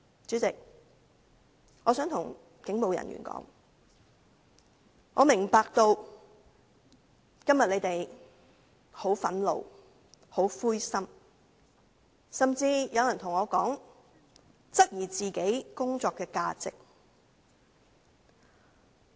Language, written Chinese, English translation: Cantonese, 主席，我想對警務人員說，我明白他們今天很憤怒和灰心，甚至有人對我說，他質疑自己的工作價值。, President I wish to tell the police officers that I appreciate their anger and frustration today . Someone even told me that he questioned the value of his own job